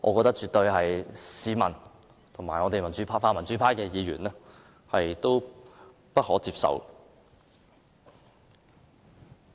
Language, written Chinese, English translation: Cantonese, 這絕對是市民及泛民主派的議員不可接受的。, That is unacceptable to the people and Members of the pan - democratic camp